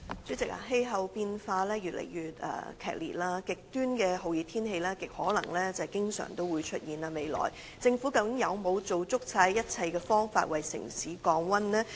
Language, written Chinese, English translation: Cantonese, 主席，氣候變化加劇，極端的酷熱天氣很可能會在未來經常出現，究竟政府有否用盡一切辦法為城市降溫？, President the worsening of climate change is likely to cause frequent and extreme hot weather in the future . Has the Government exhausted all means to cool down the city?